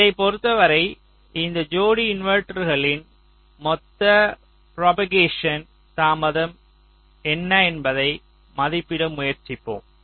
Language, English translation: Tamil, so with respect to this, let us try to estimate what will be the total propagation delay of this pair of inverters